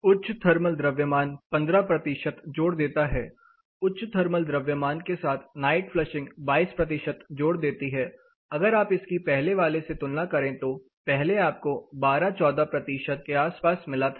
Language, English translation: Hindi, High thermal mass adds up around 15 percentage, high thermal mass with night flushing adds 22 percentage if you look at if you compare what we got earlier we got you know around 12 14 percentage